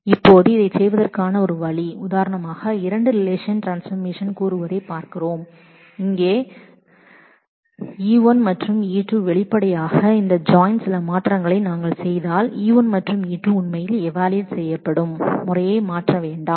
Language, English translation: Tamil, Now, one way to do that is for example, if we are looking at say the join of two relations E1 and E2 here then; obviously, if we do certain transformations with this join that does not change the way E1 and E2 are actually evaluated